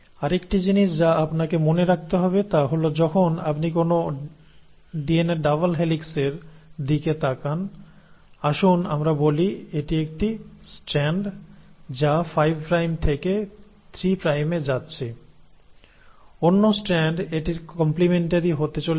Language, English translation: Bengali, The other thing which you have to remember is that when you look at a DNA double helix; let us say this is one strand which is going 5 prime to 3 prime, the other strand is going to be complementary to it